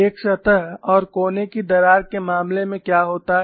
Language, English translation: Hindi, What happens in the case of a surface and corner cracks